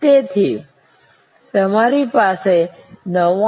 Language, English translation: Gujarati, So, that you have a 99